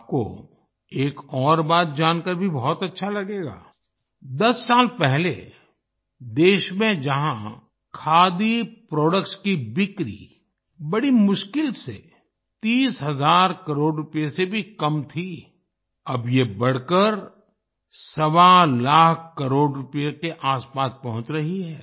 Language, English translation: Hindi, You will be pleased to know of another fact that earlier in the country, whereas the sale of Khadi products could barely touch thirty thousand crore rupees; now this is rising to reach almost 1